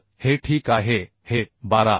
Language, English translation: Marathi, 6 so this is okay this 12